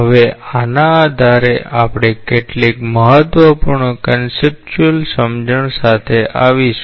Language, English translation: Gujarati, Now, based on these we will come up with a few important conceptual understandings